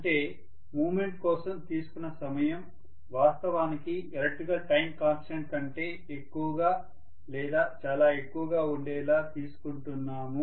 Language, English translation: Telugu, Which means the time taken for movement is actually greater than or much higher than the electrical time constant